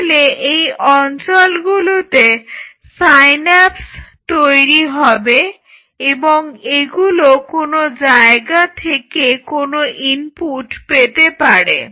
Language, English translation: Bengali, So, these are the zones where synapses will be forming and this may be getting some input from somewhere or ok